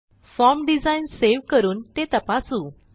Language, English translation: Marathi, So let us save the form design and test it